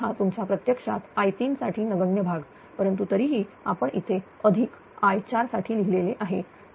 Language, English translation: Marathi, So, this is your this part actually negligible for i 3 right, but still I have written here plus this one your i 4 right